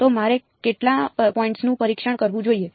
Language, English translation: Gujarati, So, how many points should I tested